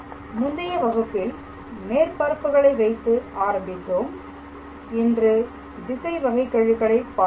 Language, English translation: Tamil, So, in the previous class we started with level surfaces and in today’s class we started with directional derivative